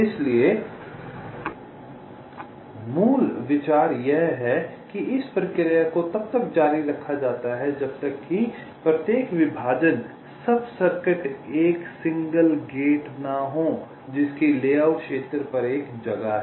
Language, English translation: Hindi, so the basic idea is that the process is continued till, let say, each of the partition sub circuit is single gate which has a unique place on the layout area